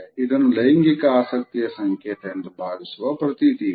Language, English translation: Kannada, It is commonly perceived as a gesture of sexual interest